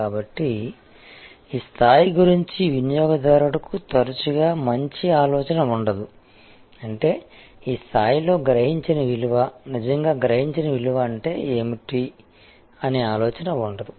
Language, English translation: Telugu, So, customer therefore, often does not have the good idea about this level; that means, of this level; that means, what is the perceive value, really perceived value